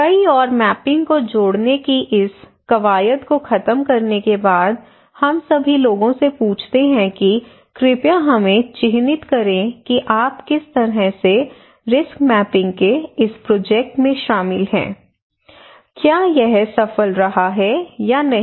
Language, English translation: Hindi, And so after we finish this exercise of connecting many more mappings and all we ask people that hey please mark us that what how you involved into this project of risk mapping, was it successful or not